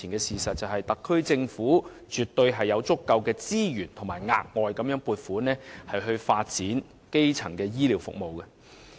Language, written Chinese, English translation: Cantonese, 事實擺在眼前，特區政府絕對有足夠的資源額外撥款發展基層醫療服務。, The fact before us is the Hong Kong SAR Government does have sufficient resources for allocating additional funding to develop primary care services